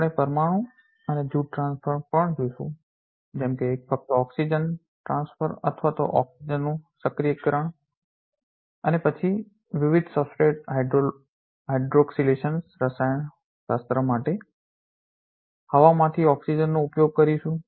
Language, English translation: Gujarati, We also will see atom and group transfer such as simply oxygen transfer or oxygen activation and then utilize the oxygen from air for different substrate hydroxylation chemistry